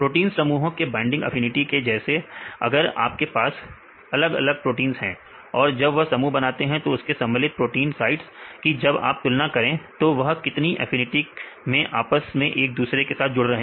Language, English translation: Hindi, Like binding affinity of proteins complexes if you have one protein this is another proteins, if you compare this proteins sites when they form the complex the affinity what is affinity how strong these two proteins can interact